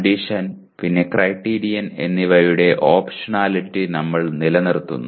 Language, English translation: Malayalam, We retain the optionality of condition and criterion